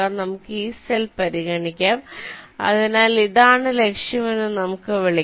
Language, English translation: Malayalam, let say, let us consider this cell, so lets call this was the target